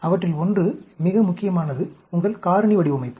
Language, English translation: Tamil, One of them, the most important one is your factorial design